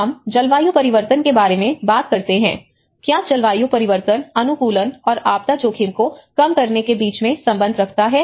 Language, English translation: Hindi, We talk about the climate change, is there a relationship between climate change adaptation and the disaster risk reduction